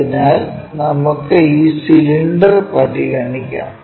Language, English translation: Malayalam, So, let us consider this cylinder